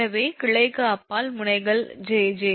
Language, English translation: Tamil, so nodes beyond branch jj